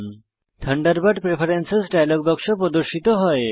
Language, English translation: Bengali, The Thunderbird Preferences dialog box appears